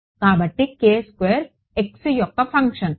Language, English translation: Telugu, So, this is a function of x